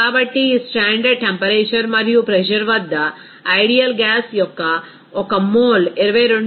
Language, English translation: Telugu, So, at this standard temperature and pressure, 1 mole of ideal gas occupies 22